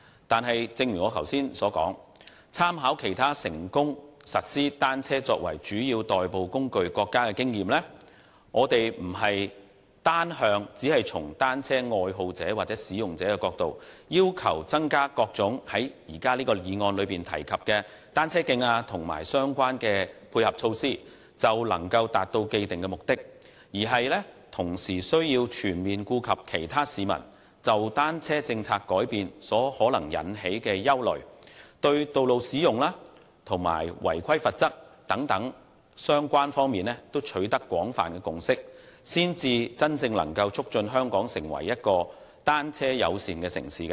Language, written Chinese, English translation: Cantonese, 但是，正如我剛才所說，參考其他成功實施單車作為主要代步工具的國家的經驗，我們並非單從單車愛好者或使用者的角度，要求增加各種在這項議案內提及的單車徑和相關的配合措施便能達到既定的目的，而是同時需要全面顧及其他市民對單車政策的改變可能產生的憂慮，就道路使用及違規罰則等相關方面都取得廣泛共識，才能真正促進香港成為一個單車友善的城市。, However as I have just said making reference to the overseas experience where bicycles are successfully used as a mode of transport the predetermined objective cannot be achieved by simply increasing bicycle lanes and relevant ancillary measures from the angle of cycling enthusiasts or users as proposed in this motion . Rather possible concerns of the public on a change in the policy on cycling should be taken into account and a consensus on road use and penalties for non - compliance should be reached in order to really promote Hong Kong as a bicycle - friendly city